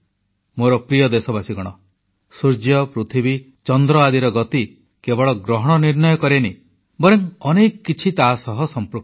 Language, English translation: Odia, My dear countrymen, the movement of the sun, moon and earth doesn't just determine eclipses, rather many other things are also associated with them